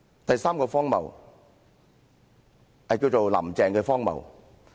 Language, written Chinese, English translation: Cantonese, 第三個荒謬，叫"林鄭"的荒謬。, The third absurdity is called the absurdity of Carrie LAM